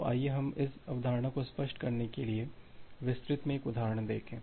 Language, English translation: Hindi, So, let us look into an example in details to clear this concept